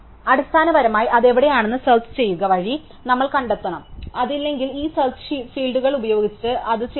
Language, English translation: Malayalam, And it turns out that basically we have to find out where it should be by searching for it and if it is not present, we add it by this search fields